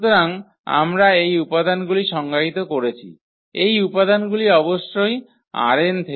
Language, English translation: Bengali, So, in this way we have defined these elements these elements are from R n of course